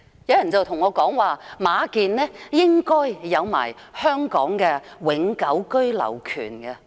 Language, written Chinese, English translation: Cantonese, 有人告訴我，馬建應該有香港的永久居留權。, Some people tell me that MA Jian should have the permanent right of abode in Hong Kong